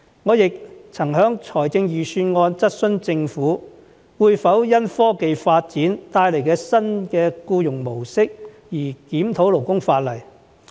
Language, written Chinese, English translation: Cantonese, 我亦曾在財政預算案辯論中質詢政府，會否因科技發展帶來的新僱傭模式而檢討勞工法例。, I also asked the Government at Budget debates whether it would review the labour laws in view of this new employment model brought about by technological development